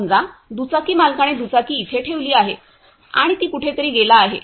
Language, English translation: Marathi, Suppose the bike owner has kept the bike here and gone somewhere